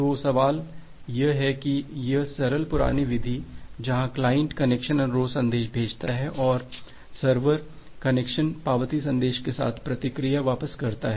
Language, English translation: Hindi, So, the question is that this simple primitive where the client sends a connection request message and the server responses back with the connection acknowledgement message